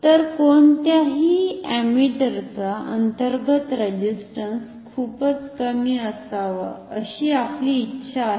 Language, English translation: Marathi, So, we want once again internal resistance of ammeters to be very low